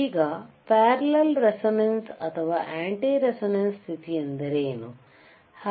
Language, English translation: Kannada, Now, what if a parallel resonance or anti resonance condition occurs